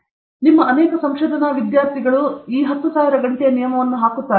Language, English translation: Kannada, Now, many of you research students, put this 10,000 hour rule